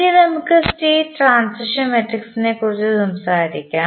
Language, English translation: Malayalam, Now, let us talk about the State Transition Matrix